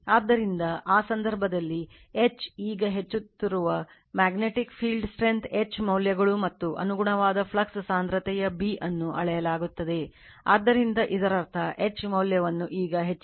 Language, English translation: Kannada, So, in that case, what will happen that your H, now increasing values of magnetic field strength H and the corresponding flux density B measured right, so that means, you are increasing the H value now